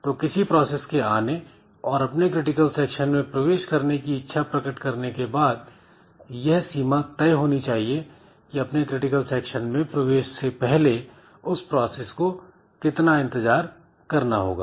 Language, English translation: Hindi, So, once the process has arrived and it has expressed its intention that I want to enter into the critical section, there must be a bound on the number of times the process may be a process may have to wait before some other processes before it gets into the critical section